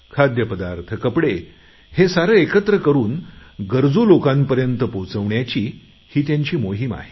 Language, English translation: Marathi, Under this campaign, food items and clothes will be collected and supplied to the needy persons